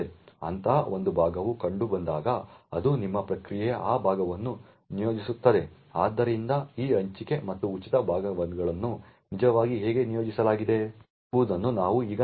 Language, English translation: Kannada, When such a chunk is found then it would allocate that chunk to your process, so we will now look at how these allocated and free chunks are actually organized